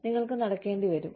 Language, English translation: Malayalam, You are required to walk